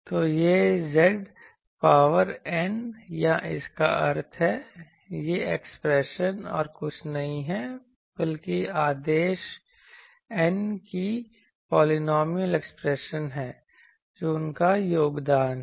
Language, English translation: Hindi, So, this Z to the power n or that means, this expression is nothing but a polynomial expression of order n that is his contribution that